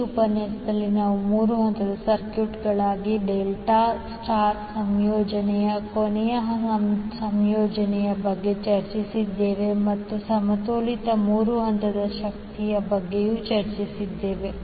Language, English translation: Kannada, In this session we discussed about the last combination that is delta star combination for the three phase circuit and also discussed about the balanced three phase power